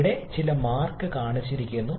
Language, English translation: Malayalam, Here some marks are shown